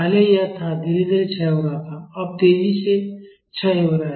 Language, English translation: Hindi, Earlier it was this it was decaying slowly, now it is decaying faster